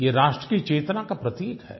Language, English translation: Hindi, It symbolises our national consciousness